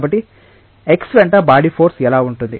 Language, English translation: Telugu, So, what will be the body force along x